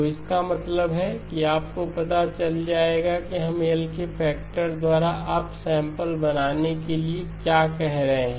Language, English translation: Hindi, So that means you will know exactly what we are referring to up sample by a factor of L